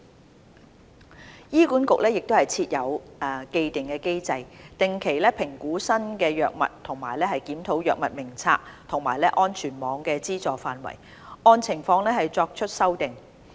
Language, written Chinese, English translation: Cantonese, 三醫管局設有既定機制，定期評估新藥物和檢討《藥物名冊》和安全網的資助範圍，按情況作出修訂。, 3 HA has an established mechanism for regular appraisal of new drugs and review of its Drug Formulary and coverage of the safety net and would make changes as appropriate